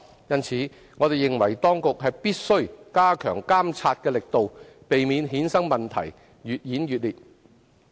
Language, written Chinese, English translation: Cantonese, 因此，我們認為當局必須加強監察的力度，避免衍生的問題越演越烈。, For this reason we consider that the authorities must step up monitoring to pre - empt intensification of the problems connected with it